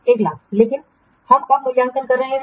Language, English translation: Hindi, 1,000 but we are evaluating when after 3 months